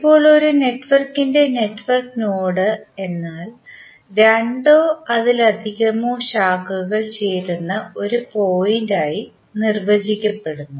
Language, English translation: Malayalam, Now, node is the network node of a network is defined as a point where two or more branches are joined